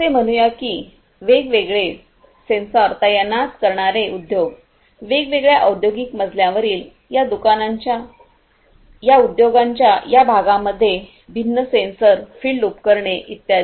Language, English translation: Marathi, These are let us say the industries that would deploy different sensors; different sensors in these different parts of these industries in the different industrial floor, the fields the field equipment and so on